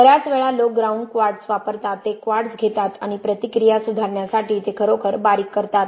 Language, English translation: Marathi, Lot of times people use ground quartz, they take quartz and grind it really fine to improve the reactivity